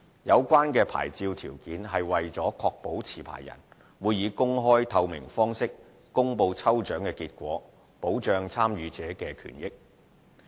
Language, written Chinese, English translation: Cantonese, 有關牌照條件是為了確保持牌人會以公開、透明方式公布抽獎結果，保障參與者的權益。, This licence condition serves to ensure that draw results will be published in an open and transparent manner by licencees for protecting the interest of members of the public who have participated